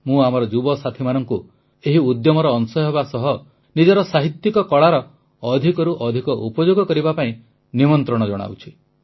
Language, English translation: Odia, I invite my young friends to be a part of this initiative and to use their literary skills more and more